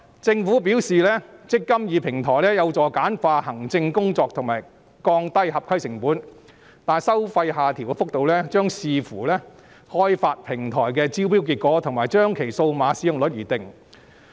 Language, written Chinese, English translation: Cantonese, 政府表示"積金易"平台有助簡化行政工作及降低合規成本，但收費下調幅度將視乎開發平台的招標結果，以及將其數碼使用率而定。, As stated by the Government the eMPF Platform is introduced to facilitate the streamlining of scheme administration and the reduction of compliance costs . However the actual rate of fee reduction will depend on the tender result of platform development and the digital take - up rate